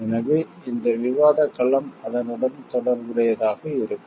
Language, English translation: Tamil, So, this field of discussion will be related to that